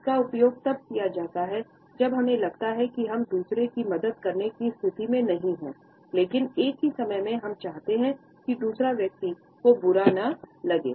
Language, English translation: Hindi, This is used when we feel that we are not in a position to help others, but at the same time, we want that the other person should not feel very bad